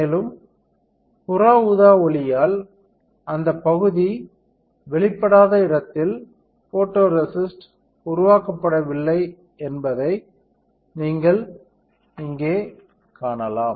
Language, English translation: Tamil, And you can see that the photoresist is not developed where the area was not exposed by UV light